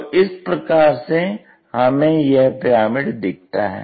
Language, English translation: Hindi, So, this is the way cone really looks like in the pyramid